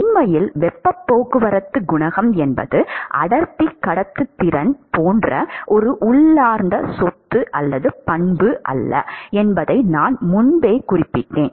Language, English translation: Tamil, And in fact, I mentioned before that heat transport coefficient is not an intrinsic property like density conductivity etcetera